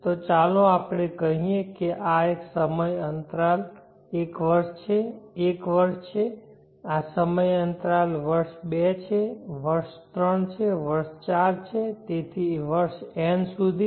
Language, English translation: Gujarati, So let us say this time interval is one year, year one this time interval is year two, year three, year four so on up to year n